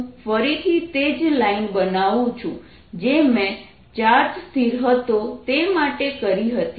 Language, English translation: Gujarati, let me again write the same lines that i made for charge and it at rest